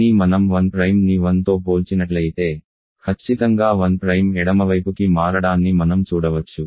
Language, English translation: Telugu, But if we compare 1 Prime with 1 differently you can see one Prime is getting shifted towards left